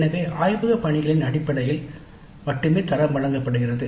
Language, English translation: Tamil, So the grade is awarded based only on the laboratory work